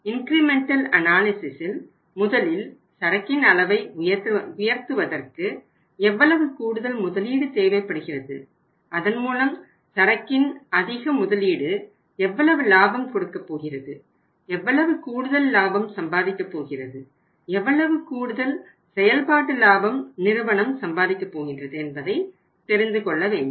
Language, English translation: Tamil, So under the incremental analysis we work out first that how much additional investment is required to be made to raise the level of inventory or to the raise the stock of the inventory and against that investment increased investment or incremental investment how much profit is going to be there